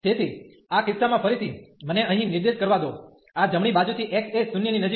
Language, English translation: Gujarati, So, in this case again let me point out here, this is x approaching to 0 from the right side